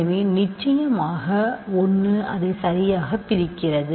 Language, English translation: Tamil, So, certainly 1 divides it right